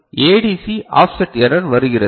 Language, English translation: Tamil, Now, comes the ADC offset error right